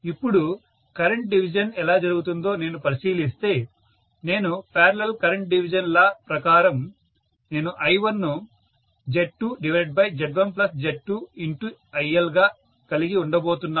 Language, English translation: Telugu, Right Now, if I look at how the current division takes place I should say I1 is equal to parallel current division law, so I am going to have Z2 divided by Z1 plus Z2 multiplied by IL